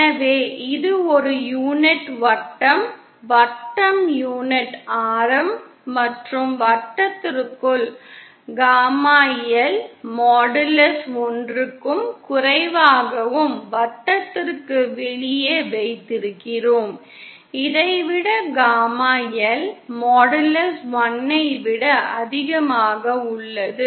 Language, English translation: Tamil, So we can write this as suppose this is a unit circle, the circle have been unit radius and within the circle, we have gamma L modulus lesser than 1 and outside the circle, we have gamma L modulus greater than1